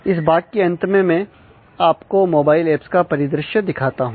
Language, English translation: Hindi, At the end of this module let me take a quick look into the mobile apps